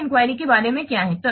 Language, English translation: Hindi, What is about an inquiry